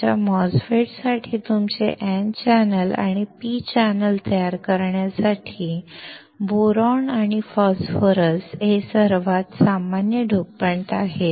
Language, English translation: Marathi, The most common dopants are Boron and Phosphorus to create your N channel and P channel for your MOSFETs